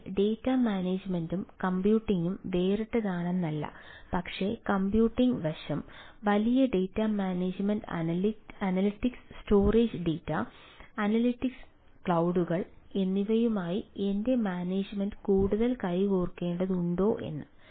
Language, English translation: Malayalam, so it is not that data management and computing a separate, but whether i can, i can my management goes in more ah hand to hand with the computing aspect: big data management, analytics, storage data and analytics, clouds